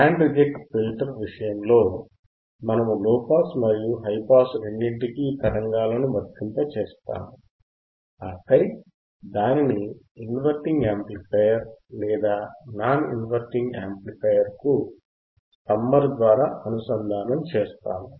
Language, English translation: Telugu, In case of the band reject filter, we are applying signal to low pass and high pass, both, right and then we are connecting it to the inverting amplifier or non inverting amplifier followed by a summer